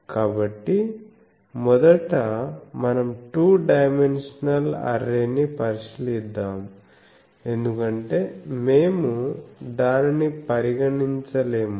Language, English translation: Telugu, So, first let us consider a two dimensional array, because we have not sorry we have not considered that